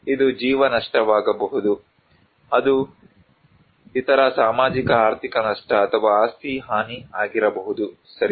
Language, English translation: Kannada, This could be human loss; it could be other socio economic loss or property damage right